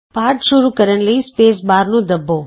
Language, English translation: Punjabi, To start the lesson, let us press the space bar